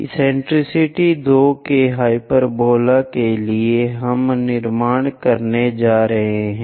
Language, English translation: Hindi, For hyperbola of eccentricity 2, we are going to construct